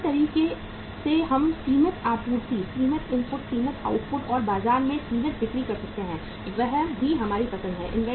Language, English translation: Hindi, Other way round we can have the limited supply, limited inputs, limited outputs, and limited sales in the market; that is also our choice